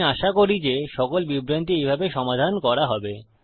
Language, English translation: Bengali, I hope every confusion will be resolved in that way